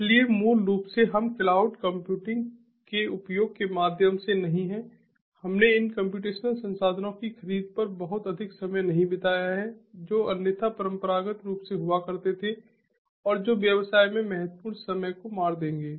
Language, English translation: Hindi, so basically, you know we we have not you through the use of cloud computing, we have not spent too much of time on the procurement of these computational resources, which otherwise traditionally used to happen and that would kill significant amount of time in business